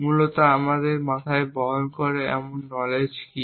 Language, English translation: Bengali, Essentially what is the kind of knowledge that we carry in our heads